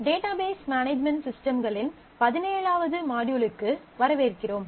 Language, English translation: Tamil, Welcome to the Module 17 of Database Management Systems